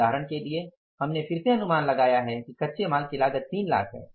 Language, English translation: Hindi, For example we had anticipated the again the raw material cost as 3 lakhs